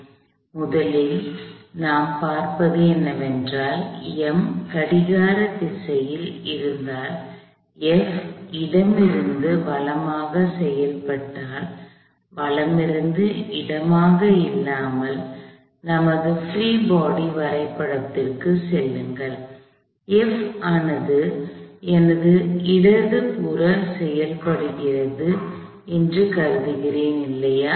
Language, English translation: Tamil, So, the first thing we see is that if M is clockwise, F acts from left to right, not right to left as we have assumed, go back to our free body diagram , I assume F is acting to my left